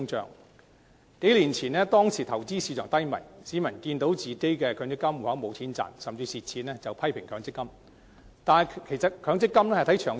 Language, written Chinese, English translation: Cantonese, 在數年前投資市場低迷時，市民眼見強積金戶口沒有錢賺甚至虧蝕，便批評強積金。, In a flagging investment market a few years ago the public seeing no gain and even losses in their MPF accounts went on to criticize MPF